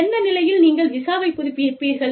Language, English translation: Tamil, On what condition, would you renew the visa